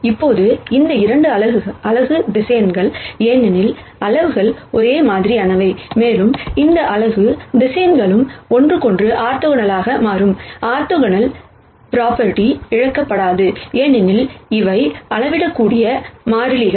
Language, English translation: Tamil, Now, these 2 are unit vectors, because the magnitudes are the same and these unit vectors also turn out to be orthogonal to each other, the orthogonal property is not going to be lost, because these are scalar constants